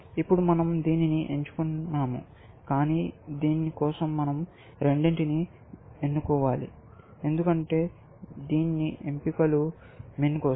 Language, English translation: Telugu, Now, we have chosen this, but for this, we must choose both; because all choices for min